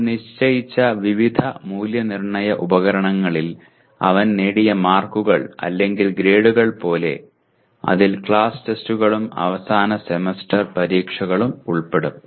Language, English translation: Malayalam, Like what are the marks that he obtained or grades that he obtained in various assessment instruments which we set; which will include the class tests and end semester exams